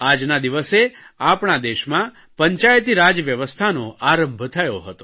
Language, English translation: Gujarati, On this day, the Panchayati Raj system was implemented in our country